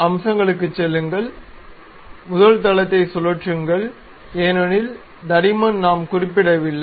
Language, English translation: Tamil, Go to features, revolve boss base because thickness we did not mention